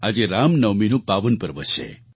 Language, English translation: Gujarati, Today is the holy day of Ram Navami